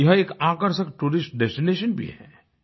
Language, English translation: Hindi, It is an attractive tourist destination too